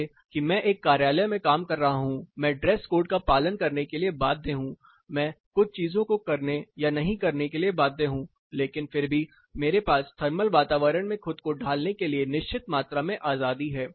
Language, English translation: Hindi, Say if I am working in a office I am bound to follow dress code, I am bound to do or not do certain things, but still I have certain amount of flexibility to adapt myself to a thermal environment